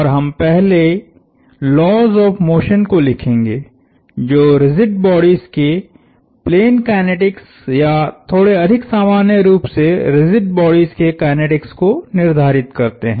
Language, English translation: Hindi, And we will first write down the laws of motion that govern plane kinetics of rigid bodies or in a slightly more general way kinetics of rigid bodies